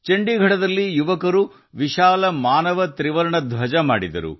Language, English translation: Kannada, In Chandigarh, the youth made a giant human tricolor